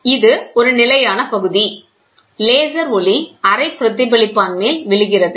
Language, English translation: Tamil, So, this is a fixed unit, the laser light falls on a semi reflected one